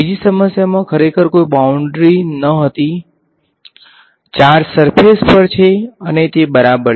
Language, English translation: Gujarati, In the other problem there was no boundary really right the charges are there over surface and that is it right